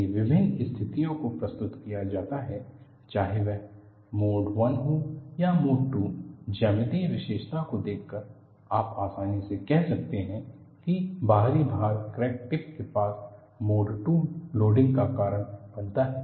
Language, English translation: Hindi, If different situations are presented, whether it is mode 1 or mode 2, by looking at the geometric feature, you can easily say the external loading causes a mode 2 loading near the crack tip